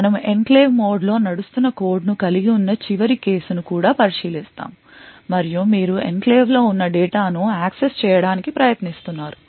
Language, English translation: Telugu, Will also look at the final case where we have a code present in the enclave that is you are running in the enclave mode and you are trying to access data which is also in the enclave